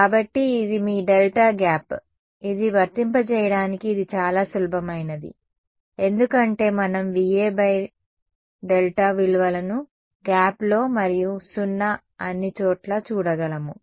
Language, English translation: Telugu, So, this is your delta gap which is this easiest one to apply because, is just we can see the values V A by delta in the gap and 0 everywhere else